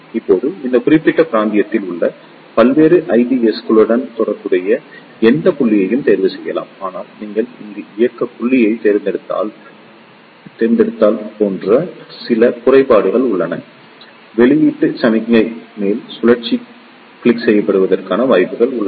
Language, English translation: Tamil, Now, if you see one can choose any point corresponding to various IB's in this particular region, but there are few drawbacks like if you select the operating point over here, there are chances that the output signal upper cycle may get clipped